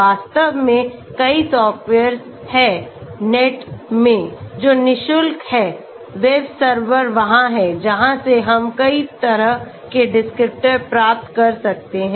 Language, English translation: Hindi, In fact, there are many softwares in the net, which is free of charge, web servers are there from where we can get 1000s of descriptors